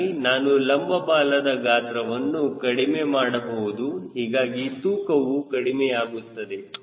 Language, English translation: Kannada, so i can reduce the size of the vertical tail, so there is as reduction in the weight